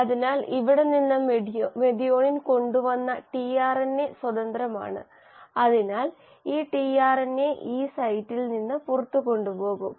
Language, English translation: Malayalam, So from here the tRNA which had brought in the methionine is free, so this tRNA will go out from the E site